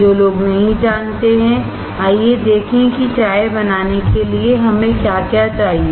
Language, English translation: Hindi, Those who do not know, let us see what all we need to make a tea